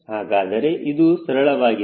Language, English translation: Kannada, so this becomes very simple